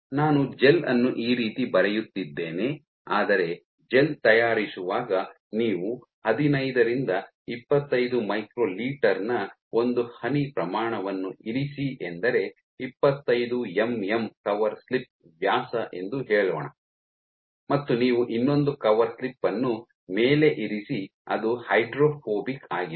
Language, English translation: Kannada, So, what you do is while making the gel you put a single drop order 15 to 25 microliter drop onto let us say a 25 mm cover slip diameter cover slip and you put another cover slip on top which is hydrophobic this is hydrophobic